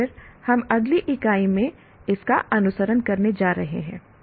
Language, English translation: Hindi, And then we are going to follow this in the next unit